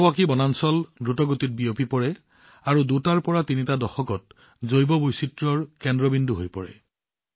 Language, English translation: Assamese, Miyawaki forests spread rapidly and become biodiversity spots in two to three decades